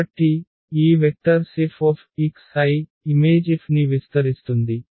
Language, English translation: Telugu, Therefore, these vectors F x i will span the image F